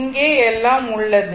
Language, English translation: Tamil, Because, nothing is here